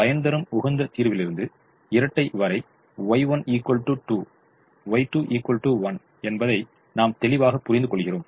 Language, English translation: Tamil, from the optimum solution to the dual we realize that y one equal to two, y two equal to one